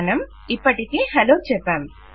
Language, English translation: Telugu, Weve already got hello